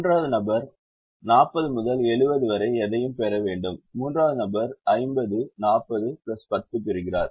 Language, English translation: Tamil, the second person should get anything between thirty and fifty, so the person is getting actually fifty